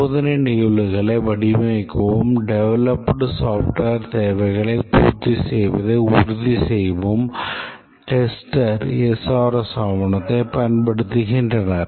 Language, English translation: Tamil, The testers use the SRS document to design test cases and to ensure that the developed software meets the requirements